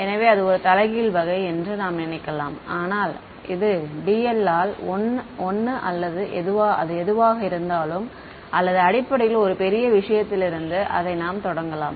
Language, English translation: Tamil, So, it sort of inverse you can think of this is 1 by dl or whatever or basically start from a large thing right